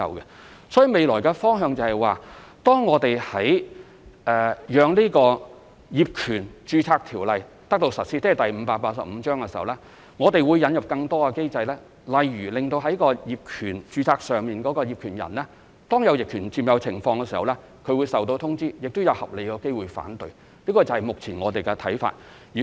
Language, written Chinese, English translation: Cantonese, 因此，未來的方向是，當業權註冊制度，即香港法例第585章實施後，我們會引入更多機制，當業權出現逆權管有時，註冊業權人會收到通知，亦會有合理的機會讓他提出反對，這是目前我們的看法。, So our future direction is that when the title registration system is implemented that is when Cap . 585 is in operation we will introduce more mechanisms to enable the registered owners to be notified when their properties are adversely possessed; and there will be a chance for the owners to reasonably raise their objection